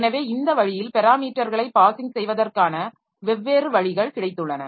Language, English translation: Tamil, So, this way we have got different ways of passing parameters